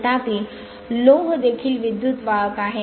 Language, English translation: Marathi, However, iron is also a good conductor of electricity